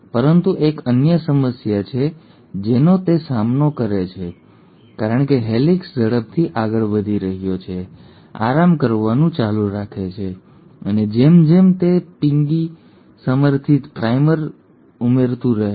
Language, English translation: Gujarati, But there is another problem it encounters because the helicase is moving faster, keeps on unwinding and as it keeps on unwinding the piggy backed primase keeps on adding primers